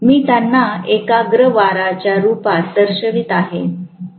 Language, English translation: Marathi, I am showing them in the form of concentrated winding